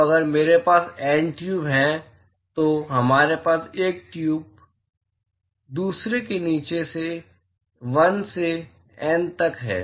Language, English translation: Hindi, So, if I have N tube; so, we have tube placed one below the other 1 to N